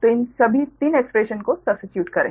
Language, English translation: Hindi, so substitute all these three expression right